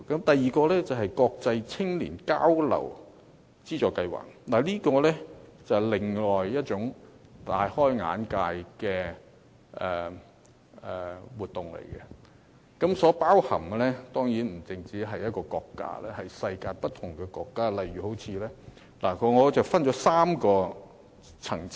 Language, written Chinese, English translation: Cantonese, 第二，國際青年交流資助計劃是另一項令人大開眼界的活動，當中包含不止一個國家，而是世界不同國家，我將它們分為3個層次。, Second the Funding Scheme for International Youth Exchange is another eye - opening activity . It covers more than one countries in the world and can be classified into three country levels